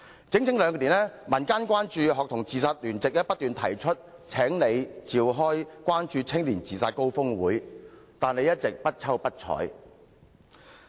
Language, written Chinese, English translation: Cantonese, 在這整整兩年間，有關注學童自殺的民間聯席不斷要求特首召開關注青年自殺高峰會，但你一直不瞅不睬。, Over the past two years a civil alliance for preventing student suicide has been urging the Chief Executive to convene a summit on student suicide . But she has simply turned a deaf ear to the request